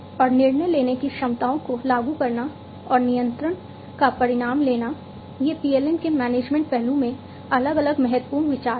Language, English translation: Hindi, And enforcing the capabilities of decision making, and taking result of the control, these are the different important considerations, in the management aspect of PLM